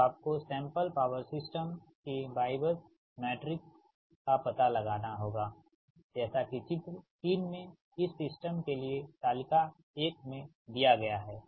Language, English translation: Hindi, so you have to find out the y matrix of the sample power system as shown in figure three